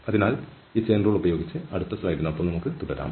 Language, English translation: Malayalam, So with this chain rule, let us continue here with the next slide